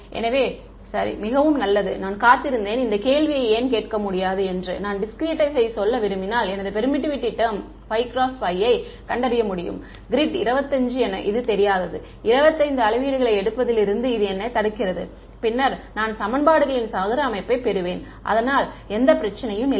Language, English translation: Tamil, Ok very good I was waiting for you to ask this question why cannot I; if I want to let us say discretize and find out my permittivity in a 5 by 5 grid is it 25 unknowns, what prevents me from taking 25 measurements, then I will get a square system of equations no problem